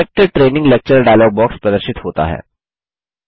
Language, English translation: Hindi, The Select Training Lecture File dialogue appears